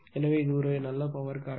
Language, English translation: Tamil, So, it is a good power factor